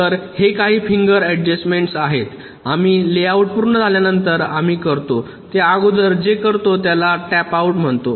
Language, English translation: Marathi, so these are some finer adjustments we do after the layout is completed, before we do the so called tapeout